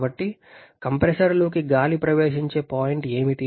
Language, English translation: Telugu, So, what is the point at which air is entering the compressor